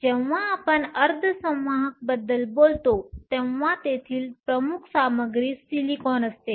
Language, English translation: Marathi, When we talk about semiconductors, the dominant material there is silicon